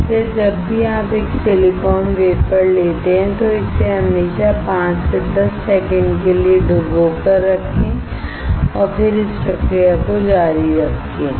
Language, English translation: Hindi, Hence, whenever you take a silicon wafer always dip it for 5 to 10 seconds and then continue with the process